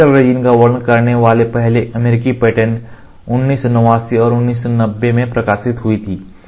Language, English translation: Hindi, In the first US patent describing SL resin published in 1989 and 1990